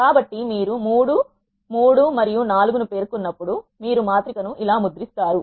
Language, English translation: Telugu, So, you have specified 3, 3 and 4 when you do that you will get the matrix printed like this